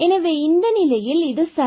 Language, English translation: Tamil, So, in that case it is fine